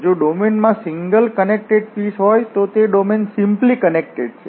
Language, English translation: Gujarati, A domain D is simply connected if it consists of single connected piece